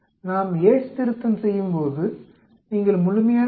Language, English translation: Tamil, When we do the Yate’s correction you need to take the absolute value and then subtract 0